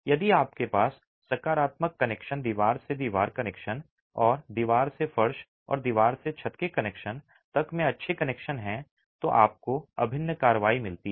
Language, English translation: Hindi, If you have good connections and positive connections, wall to wall connections and wall to floor or wall to roof connections, then you get integral action